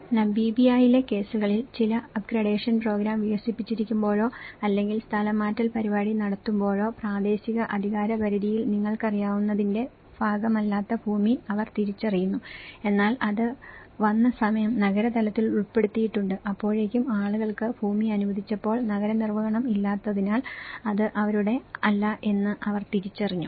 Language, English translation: Malayalam, There is also other cases when in cases of Namibia, when certain up gradation program have been developed or the relocation program have done, they identified the land which was not part of the you know, in the local jurisdiction but then, the time it came into it has been included in the urban level, by the time people because there is no urban enforcement when they have been allocated a land